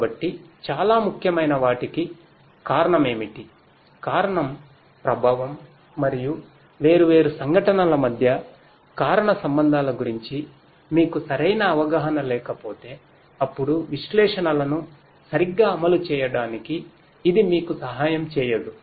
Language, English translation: Telugu, So, what causes something that is very important if you do not have that causal understanding of the cause effect and the causal relationships between different events then that will not help you to implement analytics properly